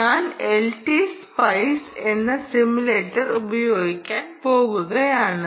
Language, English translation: Malayalam, i am starting a simulator called l t spice